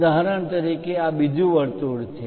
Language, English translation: Gujarati, For example, this is another circle